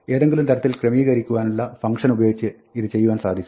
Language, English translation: Malayalam, One way to do this is to use the sorted function